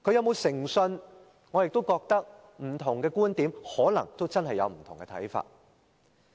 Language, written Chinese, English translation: Cantonese, 候選人有否誠信，不同的人可能真的有不同看法。, As regards whether a candidate is credible different people may have different views